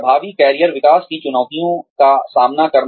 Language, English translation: Hindi, Meeting the challenges of effective career development